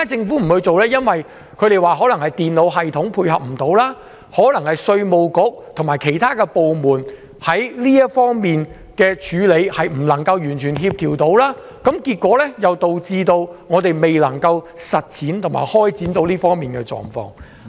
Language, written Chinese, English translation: Cantonese, 據說是因為電腦系統無法配合、稅務局及其他部門在這方面未能夠完全協調，結果導致我們未能夠設立這種制度。, It was said that such a system had not been established because it was incompatible with the computer system and the Inland Revenue Department had not fully coordinated with other government departments